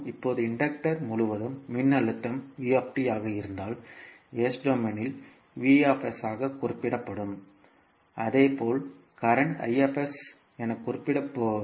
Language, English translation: Tamil, Now, you know that if the voltage across inductor is v at ant time t it will be represented as v in s domain and similarly, current It will be represented as i s